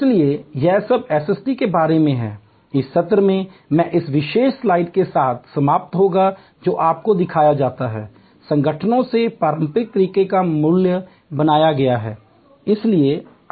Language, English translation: Hindi, So, that is all about SST, this session I will end with this particulars slide which shows you, the traditional way value has been created in organizations